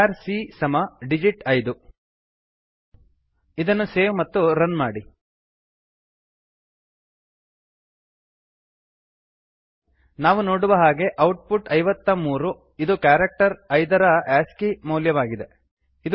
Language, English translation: Kannada, char c = digit 5 Save it and run it As we can see, the output is 53 which is the ascii value of the character 5 It is not the number 5